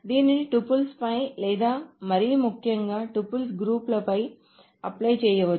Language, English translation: Telugu, So it can be applied on tuples or, more importantly, it can be applied on groups of tuples